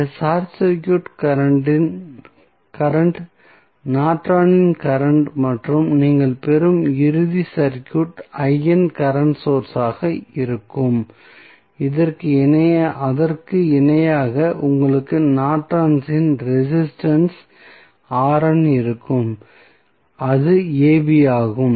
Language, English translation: Tamil, So, this short circuit current will be nothing but the Norton's current and the final circuit which you will get would be the current source that is I n and in parallel with you will have the Norton's resistance R n and that is AB